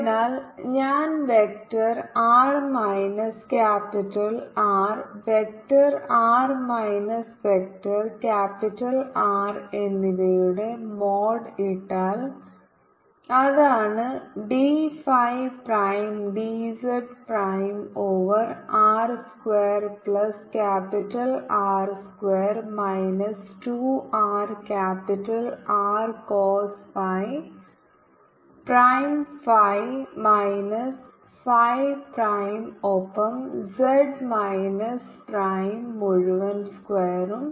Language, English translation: Malayalam, so so if i put the value of vector r minus capital r, mod of vector r minus vector capital r, so that is the d phi prime d z prime over r square plus capital r square minus two r capital r cost phi prime phi minus phi prime plus z minus z prime, whole square